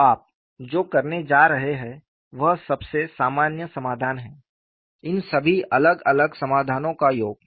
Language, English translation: Hindi, And the most general solution is the sum of all these solutions